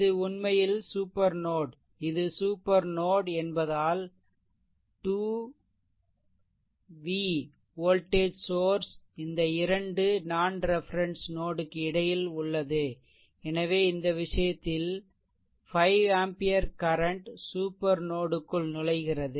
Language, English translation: Tamil, This is actually super node this is supernode because 2 1 voltage source is there in between 2 non reference node; so, in this case, a 5 ampere current this 5 ampere current actually entering the super node